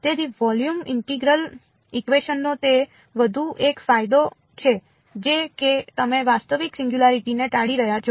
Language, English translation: Gujarati, So, that is one more advantage of volume integral equations is that your avoiding that the real singularity is being avoided